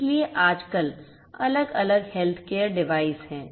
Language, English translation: Hindi, So, nowadays there are different you different healthcare devices that are there